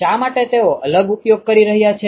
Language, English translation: Gujarati, Why are they using different